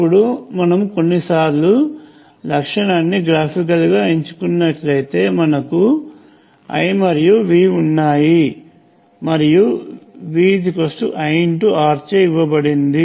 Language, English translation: Telugu, Now, as before we also sometimes depict picked the characteristic graphically, we have I and V, and V is given by I R